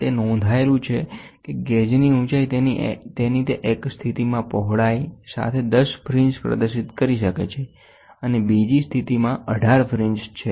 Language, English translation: Gujarati, It is recorded that the gauge height exhibits 10 fringes along it is width in one position and 18 fringes in the other position